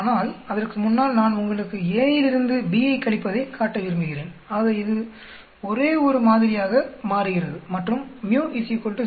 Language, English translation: Tamil, But before that I want to show first you subtract a minus b so it becomes only one sample and the mu is equal to 0